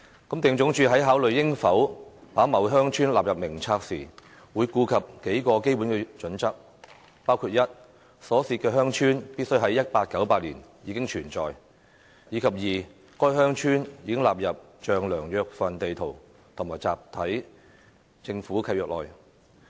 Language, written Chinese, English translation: Cantonese, 地政總署在考慮應否把某鄉村納入名冊時，會顧及幾個基本準則，包括 i 所涉鄉村必須在1898年已經存在，以及該鄉村已納入丈量約份地圖和集體政府契約內。, When considering whether a certain village should be included in the List LandsD takes into account several basic criteria including i the village involved must have been in existence in 1898 and ii the village has been included in the Demarcation District sheets and the Block Government Leases